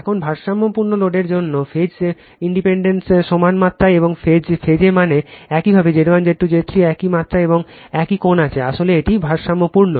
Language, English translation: Bengali, Now, for balanced load phase impedance are equal in magnitude and in phase right that means, your Z 1, Z 2, Z 3 are in this same magnitude and same angle right, then it is balanced